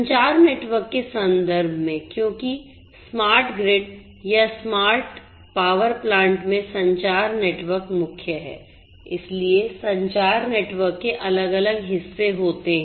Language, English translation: Hindi, In terms of the communication network, because communication network is the core in a smart grid or a smart power plant so, the communication network has different different parts